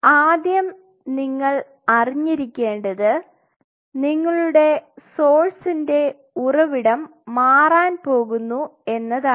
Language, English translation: Malayalam, So, the first thing is you have to now your source is going to change